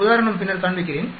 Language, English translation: Tamil, I will show you an example later